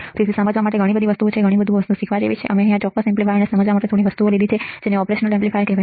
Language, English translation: Gujarati, So, there are a lot of things to understand, lot of things to learn and we have taken few things from that lot to understand this particular amplifier called operational amplifier right